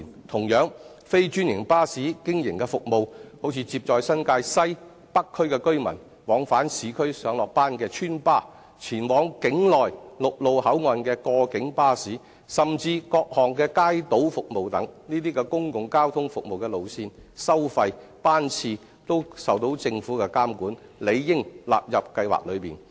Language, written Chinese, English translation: Cantonese, 同樣，非專營巴士經營的服務，例如接載新界西及北區居民往返市區上、下班的邨巴、前往境內陸路口岸的過境巴士，甚至各項街渡服務等，這些公共交通服務的路線、收費、班次等均受政府監管，理應納入補貼計劃內。, By the same token the services operated by non - franchised buses such as the residents buses which take residents from New Territories West and the North District to and from work in the urban areas cross - boundary shuttle buses which go to the land boundary control points within the territory and even various Kaito ferry services should also be covered by the Subsidy Scheme as the routes fares and frequencies of these public transport services are subject to government regulation